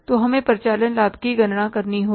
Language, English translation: Hindi, So we'll have to calculate the operating profit